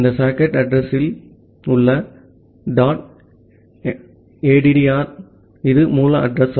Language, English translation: Tamil, Then we have this socket in address dot s addr it is the source address